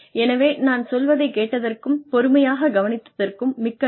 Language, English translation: Tamil, So, thank you very much for listening to me, and being patient with this